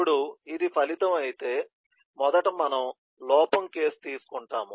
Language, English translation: Telugu, Now, if this is the outcome, let’s say first we take the error case